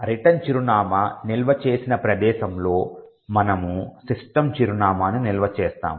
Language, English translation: Telugu, At the location where the return address is stored, we store the address of the system